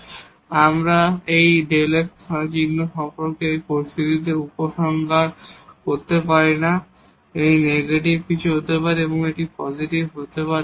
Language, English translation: Bengali, So, we cannot conclude anything in this situation about the sign of this delta f, it may be negative, it may be positive